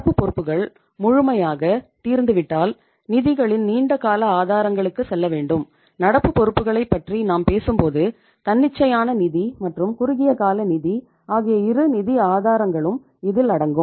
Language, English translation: Tamil, And if current liabilities are fully exhausted we have fully utilized the current liabilities available with the firm then we have to move to the long term sources of the funds and when you talk about the current liabilities it include both the sources of funds that is the spontaneous finance as well as the short term finance